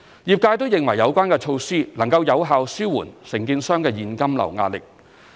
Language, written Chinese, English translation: Cantonese, 業界均認為有關措施能有效紓緩承建商的現金流壓力。, The measure has been well received by the construction industry as it can effectively relieve the contractors cash flow problems